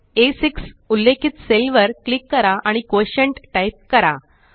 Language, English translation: Marathi, Click on the cell referenced A6 and type QUOTIENT